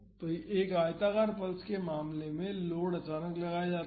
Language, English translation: Hindi, So, in the case of a rectangular pulse the load is suddenly applied